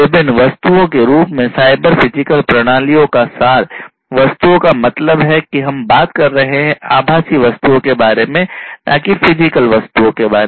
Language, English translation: Hindi, The abstractions of these cyber physical systems in the form of different objects; objects means we are talking about virtual objects not the physical objects